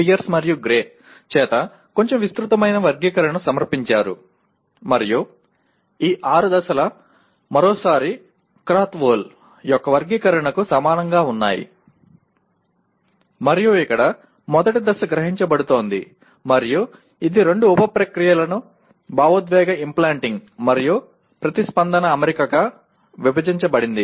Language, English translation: Telugu, But there is a little more elaborate taxonomy was presented by Pierce and Gray and these six stages are again once again approximately the same as Krathwohl’s taxonomy and here the first stage is perceiving and it is further subdivided into two sub processes emotive implanting and response setting